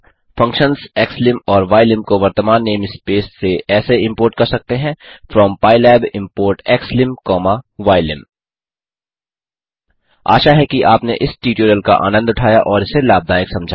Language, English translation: Hindi, Functions xlim() and ylim() can be imported to the current name space as, from pylab import xlim comma ylim import pylab from scipy import xlim comma ylim import scipy And the answers, 1